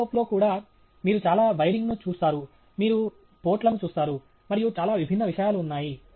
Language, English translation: Telugu, Even on the telescope you see lot of, you know, wiring, you see ports, and lot of different things are there